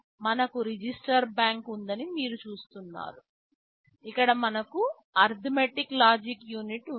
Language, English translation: Telugu, You see you have all the registers say register bank, here we have the arithmetic logic unit